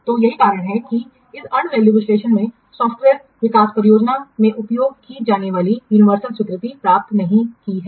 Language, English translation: Hindi, So that's why this annual analysis has not gained what universal acceptance to be used in software development projects